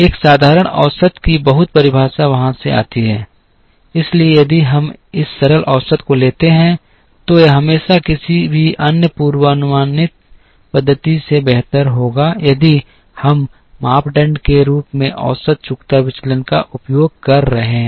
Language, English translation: Hindi, The very definition of simple average comes from there, therefore if we take this simple average, it will always be better than any other forecasting method if we are using mean squared deviation as the criteria